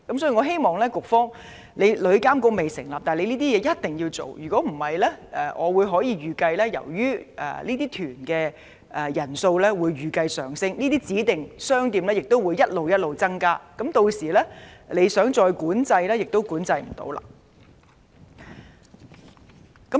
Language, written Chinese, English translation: Cantonese, 所以，在旅監局尚未成立前，我希望局方做好這些工作，否則我預計隨着旅行團的旅客人數不斷上升，指定商店的數目亦會不斷增加，屆時當局想管制亦無法做到。, Therefore prior to the establishment of TIA I hope that the authorities will do a good job to resolve these problems . Otherwise given the continuous increase in the number of tour group visitors I reckon that the number of designated shops will also keep increasing . By then even if the authorities intend to manage the situation will get out of control